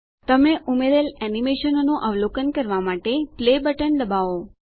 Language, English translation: Gujarati, Click on the Play button to observe the animation that you have added